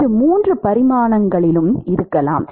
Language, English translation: Tamil, So, it is a it could be in all three dimensions